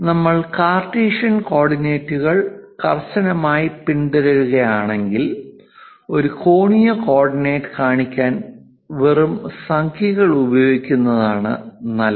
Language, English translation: Malayalam, If we are strictly following Cartesian coordinates, it's better to use just numbers without showing any angular coordinate